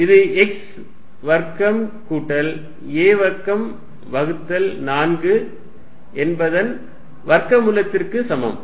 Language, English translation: Tamil, What is this distance, this is x square plus a square by 4 square root